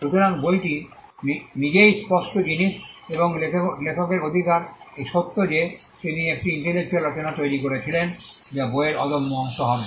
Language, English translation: Bengali, So, the book in itself is the tangible thing and the rights of the author the fact that he created an intellectual work that would be the intangible part of the book